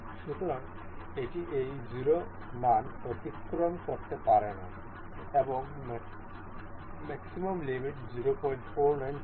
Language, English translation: Bengali, So, it cannot move beyond this 0 value and maximum limit was 0